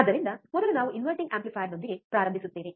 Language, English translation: Kannada, So, first we will start with the inverting amplifier